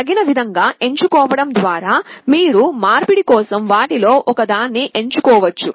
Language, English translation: Telugu, By appropriately selecting it, you can select one of them for conversion